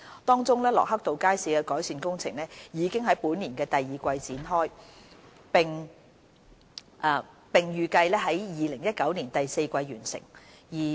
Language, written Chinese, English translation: Cantonese, 當中，駱克道街市的改善工程已於本年第二季展開，並預計於2019年第四季完成。, The improvement works for Lockhart Road Market commenced in the second quarter of 2017 for completion in the fourth quarter of 2019